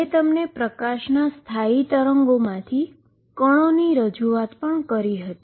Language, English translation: Gujarati, I also presented to you of particles from standing waves of light